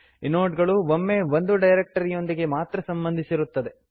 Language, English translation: Kannada, Inodes are associated with precisely one directory at a time